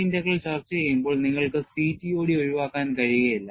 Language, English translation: Malayalam, And while discussing J Integral, you cannot avoid CTOD